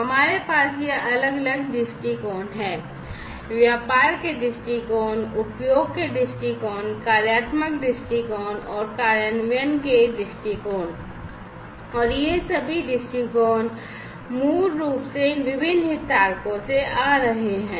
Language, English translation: Hindi, So, you we have these different viewpoints the business viewpoint we have the business viewpoint, we have the usage viewpoint, we have the functional viewpoint and the implementation viewpoint, and all these viewpoints are basically coming from these different stakeholders